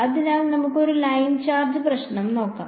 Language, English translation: Malayalam, So, let us lo at a Line Charge Problem